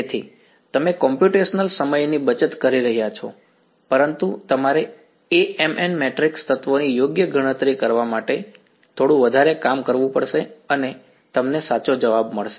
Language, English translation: Gujarati, So, you are saving on computational time, but you have to do a little bit more work to calculate Amn the matrix elements right and you get the answer right